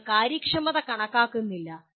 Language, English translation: Malayalam, You are not calculating the efficiency